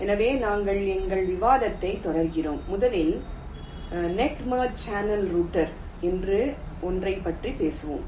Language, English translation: Tamil, so we continue our discussion and we shall first talk about something called net merge channel router